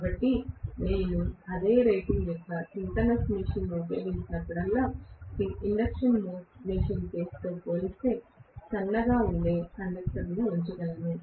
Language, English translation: Telugu, So, whenever I employ a synchronous machine of the same rating, I can put conductors which are thinner as compared to the induction machine case